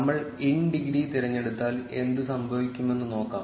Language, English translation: Malayalam, Let us see what happens if we choose in degree